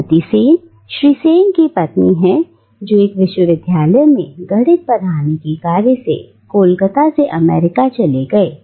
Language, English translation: Hindi, Well, Mrs Sen is a wife of Mr Sen who migrated from Calcutta to America to take up a job to teach mathematics in a university